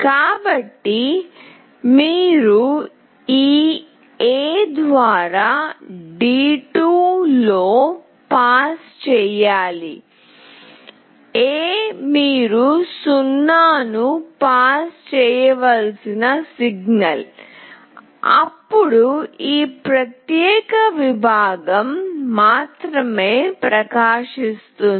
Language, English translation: Telugu, So, you have to pass in D2 through this A, A is the signal you have to pass a 0 then only this particular segment will glow